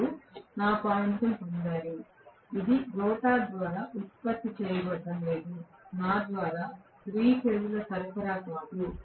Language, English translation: Telugu, You got my point it is not being generated by the rotor the power is being given by me not by me 3 phase supply